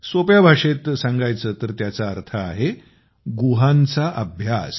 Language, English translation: Marathi, In simple language, it means study of caves